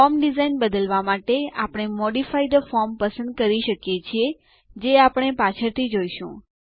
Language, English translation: Gujarati, To change the form design, we can choose Modify the form, which we will see later